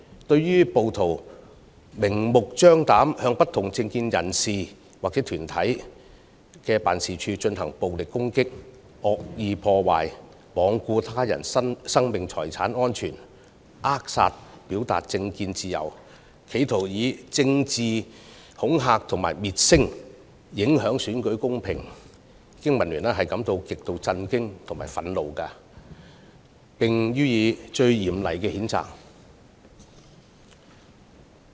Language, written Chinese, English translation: Cantonese, 對於暴徒明目張膽地向不同政見人士或團體的辦事處進行暴力攻擊、惡意破壞、罔顧他人性命財產安全，扼殺表達政見自由，企圖以政治恐嚇滅聲，影響選舉公平，經民聯感到極度震驚和憤怒，並予以最嚴厲的譴責。, Extremely shocked and agitated BPA expresses the most severe condemnation at rioters for brazenly inflicting violent attacks and malicious damage on the offices of individuals or organizations with divergent political views remaining oblivious to the safety of others life and properties and also stifling the freedom to political expression in an attempt to silence them through political intimidation and undermine election fairness